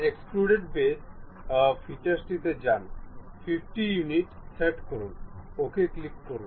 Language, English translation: Bengali, Go to features extrude boss, go to 50 units click ok